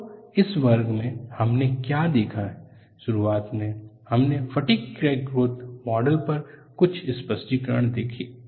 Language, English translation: Hindi, So, in this class, what we have looked at is, initially, we have explained certain clarifications on the fatigue crack growth model